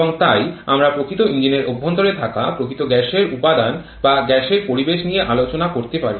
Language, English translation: Bengali, And so it we can deal with the real gas composition or gas environment that persists inside a real engine